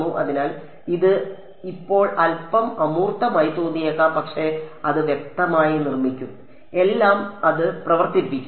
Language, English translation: Malayalam, So, it might seem a little abstract now, but will build it explicitly everything will work it out